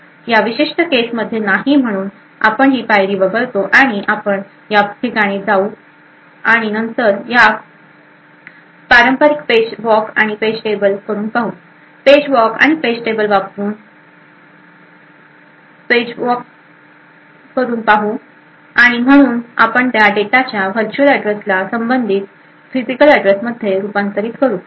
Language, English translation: Marathi, In this particular case it is no so we skip this steps and we go to this place then we perform a traditional page walk and page table, page walk using the page directories and page tables and therefore we will be able to convert the virtual address of that data to the corresponding physical address